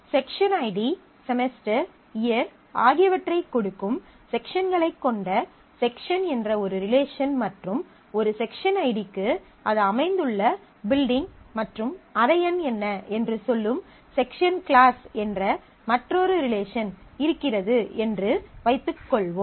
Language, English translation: Tamil, Suppose section is a relation which have the sections of a course which give the section id, semester, year and say section class is another relation which tell me for a section id, what is the building and room number where it is located